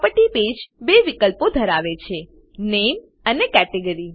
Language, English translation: Gujarati, Property page has two fields – Name and Category